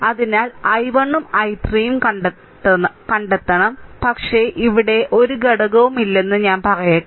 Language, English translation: Malayalam, So, you have to find out i 1 also i 3, but just let me tell you there is no element here